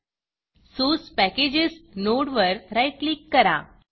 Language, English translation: Marathi, Right click on the Source Packages node